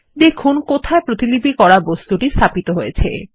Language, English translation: Bengali, Check where the copied object is placed